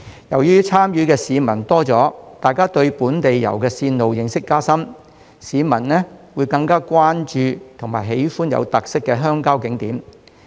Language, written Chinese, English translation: Cantonese, 由於參與的市民多了，他們對本地遊的線路認識加深，會更關注和喜歡有特色的鄉郊景點。, With more people having joined the local tours and got familiar with the itineraries special rural attractions will attract more attention and interest from people